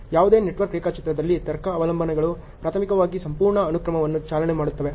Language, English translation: Kannada, So, in any network diagram the logic dependencies is primarily driving the whole sequence